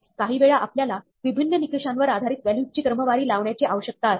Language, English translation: Marathi, Sometimes, we need to sort values based on different criteria